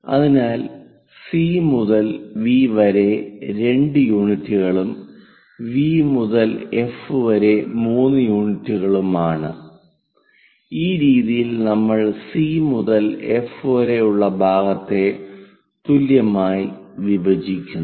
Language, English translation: Malayalam, So, C to V is 2 units, and V to F is 3 units, in that way we divide this entire C to F part